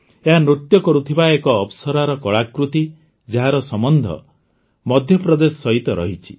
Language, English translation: Odia, This is an artwork of an 'Apsara' dancing, which belongs to Madhya Pradesh